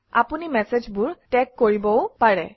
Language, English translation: Assamese, You can also tag messages